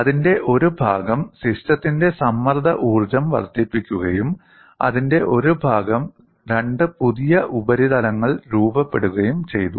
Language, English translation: Malayalam, Part of it went in increasing the strain energy of the system and part of it came for formation of two new surfaces